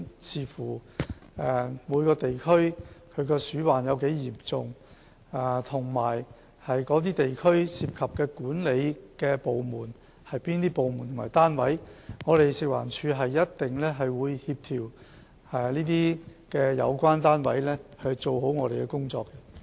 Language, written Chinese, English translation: Cantonese, 視乎每個地區鼠患的嚴重程度，以及地區涉及的管理部門或單位，食環署一定會協調相關單位做好工作。, Depending on the severity of rodent infestation in each district and the administrative departments or units concerned in the district FEHD will certainly coordinate the relevant units to do the work well